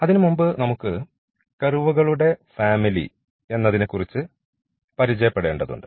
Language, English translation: Malayalam, So, before that we need to introduce this family of curves